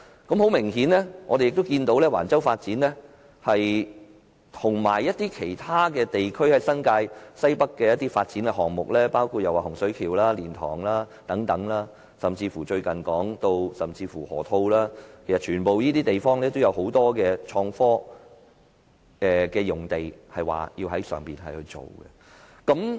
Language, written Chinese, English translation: Cantonese, 我們明顯看到橫洲的發展及其他地區，例如新界西北的發展項目，包括洪水橋、蓮塘/香園圍口岸，甚至最近提及的河套區發展等，均有很多創科用地要發展。, Regarding the development projects at Wang Chau and other areas such as the development projects in Northwest New Territories including Hung Shui Kiu LiantangHeung Yuen Wai Boundary Control Point as well as the recently mentioned Loop development land is required for innovation and technology industries